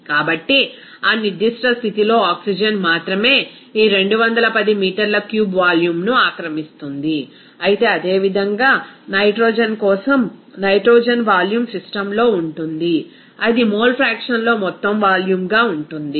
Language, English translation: Telugu, So, only oxygen will occupy this 210 meter cube volume at that particular condition, whereas similarly for nitrogen, the volume of nitrogen will be in the system that would be total volume into its mole fraction